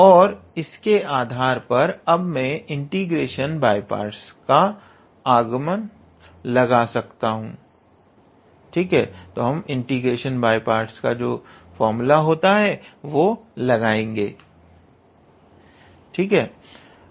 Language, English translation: Hindi, So, now, I can apply integration by parts